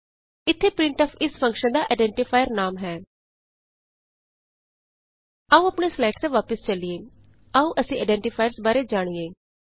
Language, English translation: Punjabi, Here, printf is the identifier name for this function Come back to our slides